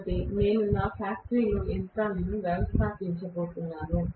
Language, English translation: Telugu, So, if I am going to install machines in my factory